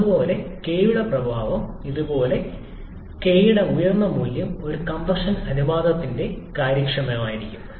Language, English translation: Malayalam, Similarly, the effect of k is something like this, smaller the value of k higher will be the efficiency for a given compression ratio